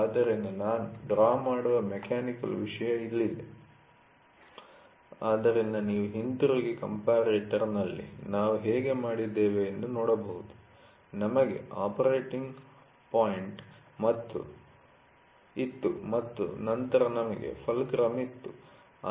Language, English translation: Kannada, So, here is a mechanical thing which I draw, so you can go back and see in comparator how did we do, we had operating point then we had a fulcrum